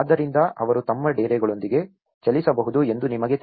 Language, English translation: Kannada, So that, you know they can move with their tents